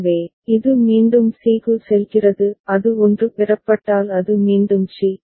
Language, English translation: Tamil, So, it goes back to c; if it 1 is received it goes back to c